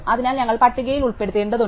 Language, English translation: Malayalam, So, we need to insert into the list